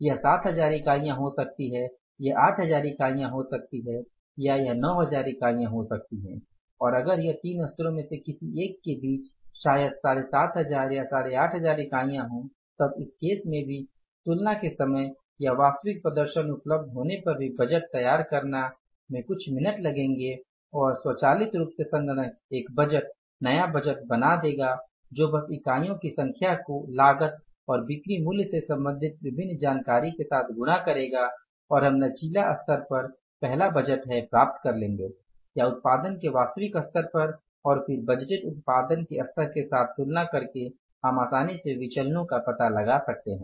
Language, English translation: Hindi, And if it is in between any of these three levels, maybe 7,500 or 8,500 units in that case also preparing the budget even at the time of comparison or when the actual performance is already available with us will take a few minutes and automatically the system will create a budget, new budget which will be simply multiplying the number of units with the different information pertaining to the cost and the selling price and will be able to have the first the budget for the flexible level or maybe the actual level of production and then comparing it with the budgeted level of the production you can easily find out the variances